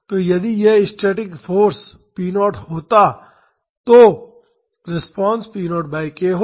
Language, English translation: Hindi, So, if this was a static force p naught then the response would have been p naught by k